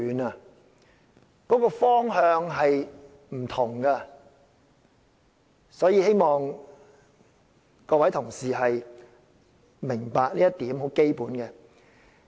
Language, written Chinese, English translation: Cantonese, 兩者的方向是不同的，希望各位同事明白這很基本的一點。, These are two different directions and I hope Honourable colleagues will understand this fundamental point